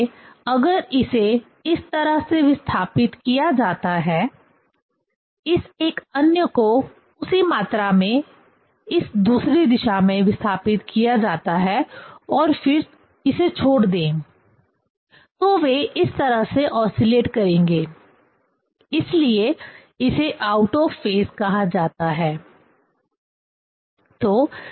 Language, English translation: Hindi, So, if it is displaced this way, this other one is displaced, this by same amount in this other direction and then leave it; then they will oscillate in this way; so this called out of phase